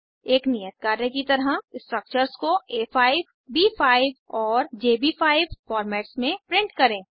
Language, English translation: Hindi, As an assignment Print the structures in A5, B5 and JB5 formats